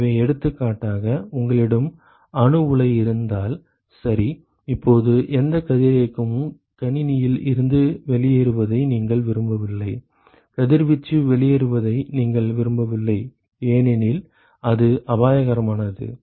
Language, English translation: Tamil, So, for example, if you have a nuclear reactor ok, now you do not want any of the radiation to leak out of the system right, you do not want radiation to leak out because it is hazardous right